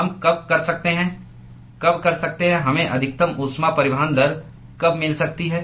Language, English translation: Hindi, when can when can we get maximum heat transport rate